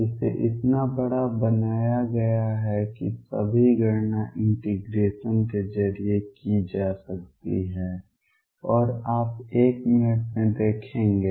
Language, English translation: Hindi, So, large that all the counting can be done through integration and you will see in a minute